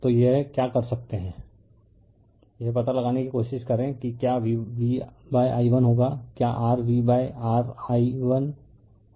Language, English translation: Hindi, So, what you can do it you try to find out what will be v upon i1 what will be your v upon your i1 right